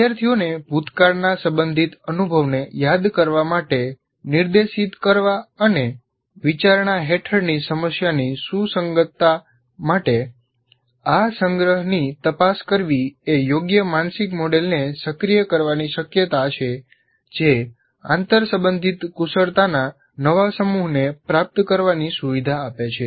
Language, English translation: Gujarati, Directing learners to recall past relevant experience and checking this recollection for relevance to the problem under consideration are more likely to activate appropriate mental model that facilitates the acquisition of new set of interrelated skills